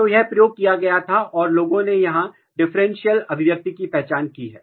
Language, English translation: Hindi, So, this was used and people have identified the differential expression here